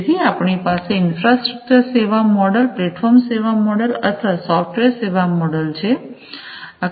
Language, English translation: Gujarati, So, we have infrastructure as a service model or we have platform is a service model or we have software as a service